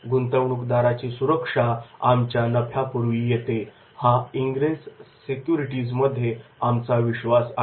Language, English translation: Marathi, We, at Indgress securities, believe that investor security comes before our profits